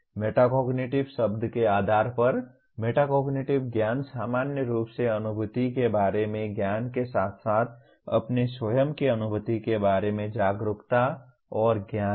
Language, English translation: Hindi, Metacognitive knowledge by the very word meta cognitive is a knowledge about cognition in general as well as the awareness of and knowledge about one’s own cognition